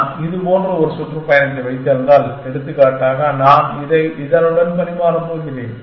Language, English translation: Tamil, If I have a tour like this then, if I am going to exchange this one with this one for example